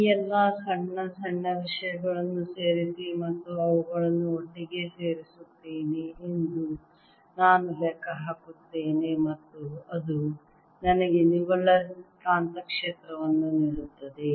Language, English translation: Kannada, i'll calculate, add all these small small things and add them together and that gives me the [neck/net] net magnetic field